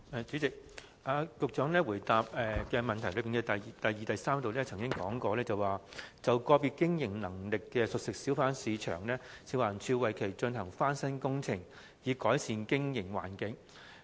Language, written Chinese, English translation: Cantonese, 主席，局長在主體答覆第二及三部分指出，"就個別具經營能力的熟食小販市場，食環署會為其進行翻新工程，以改善經營環境"。, President in parts 1 and 2 of his main reply the Secretary pointed out that for individual CFHBs with business viability FEHD will arrange refurbishment works to improve their operating environment